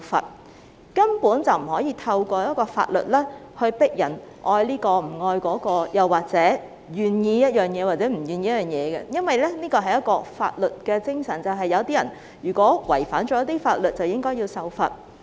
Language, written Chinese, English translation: Cantonese, 我們根本不能透過法律強迫人愛這個、不愛那個，或者令人願意做某件事、不願意做某件事，因為法律的精神就是，有人違反法律便應該受罰。, We simply cannot force people to love this and not to love that or make people willing to do something or unwilling to do something through legislation . It is because the spirit of the law is that people who have breached the law should be penalized